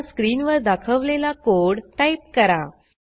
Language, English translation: Marathi, Type the code as displayed on the screen